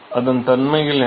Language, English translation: Tamil, So, what are the properties